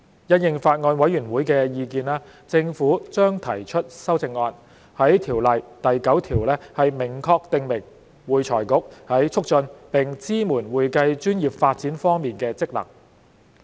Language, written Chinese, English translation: Cantonese, 因應法案委員會的意見，政府將提出修正案，在《條例》第9條明確訂明會財局在促進並支援會計專業發展方面的職能。, In response to the views of the Bills Committee the Administration will introduce amendments to clearly specify AFRCs function to promote and support the development of the accounting profession in section 9 of FRCO